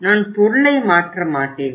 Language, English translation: Tamil, I will not replace the product